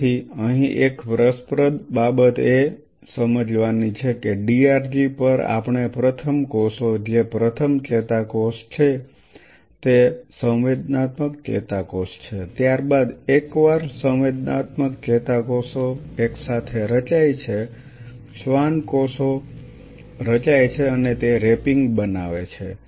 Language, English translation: Gujarati, So, here one interesting thing one has to realize that the first neuron we first cells on the DRG is are form are the sensory neurons followed by once the sensory neurons are formed simultaneously the Schwann cells are formed and they form the wrapping